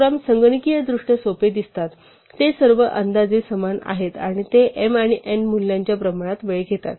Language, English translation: Marathi, Although, the programs look simpler computationally, they are all roughly the same and that they take time proportional to the values m and n